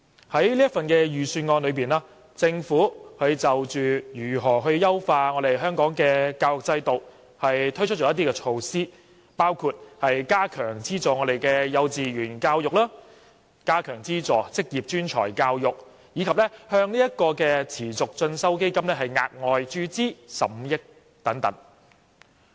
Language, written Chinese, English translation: Cantonese, 在這份預算案中，政府就如何優化本港的教育制度推出了一些措施，包括加強資助幼稚園教育及職業專才教育，以及向持續進修基金額外注資15億元等。, In this Budget the Government has introduced some measures to optimize the education system in Hong Kong which include increasing subsidies for kindergarten education and vocational education and injecting 1.5 billion into the Continuing Education Fund